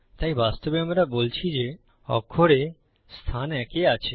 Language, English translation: Bengali, So actually we are saying letter A is in position one